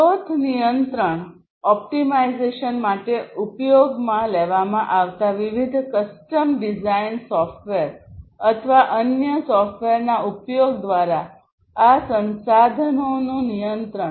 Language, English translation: Gujarati, Control; control of these resources through the use of different custom designed, software or different other software; they could be used for the resource control optimization and so on